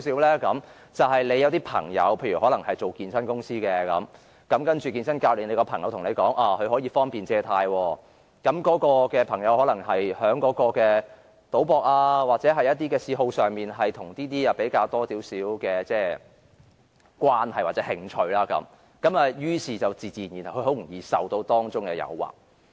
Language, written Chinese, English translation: Cantonese, 例如你有朋友在健身公司工作，那位健身教練朋友對你說他有辦法可方便借貸，他可能是在賭博或嗜好上與這方面有較多的關係或興趣，於是便自然很容易受到誘惑。, For instance you have a friend working in a physical fitness company and that personal trainer who is a friend of yours told you that he could help you take out loans easily as he might have more connections or a greater interest in this respect from gambling or his other hobbies and so naturally it would be easy to succumb to temptation